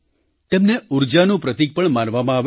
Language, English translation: Gujarati, They are considered a symbol of energy